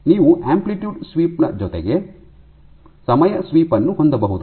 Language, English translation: Kannada, So, you can have amplitude sweep, you can have time sweep right